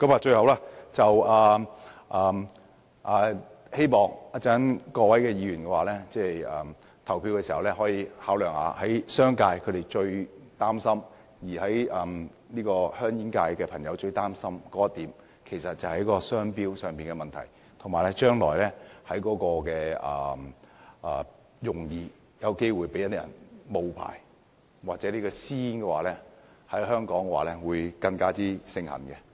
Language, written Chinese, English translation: Cantonese, 最後，我希望各位議員稍後在投票時，可以考慮商界及煙草業界人士最擔心的商標問題，或會引致將來容易被假冒，或導致私煙在香港更加盛行。, Lastly I hope Members will consider the logo issue which is a grave concern to the business sector and the tobacco industry . The issue may facilitate counterfeiting and lead to an even higher prevalence of illicit cigarettes